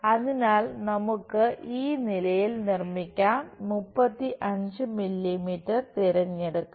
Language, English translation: Malayalam, So, let us construct at this level pick 35 mm